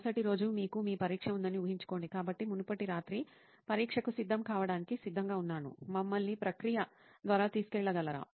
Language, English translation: Telugu, Imagine you have your exam on the next day, so previous night just ready to prepare for the exam, just take us through the process